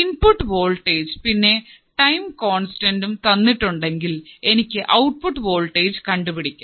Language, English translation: Malayalam, For a given value of input voltage and given value of time constant, if I have to find the output voltage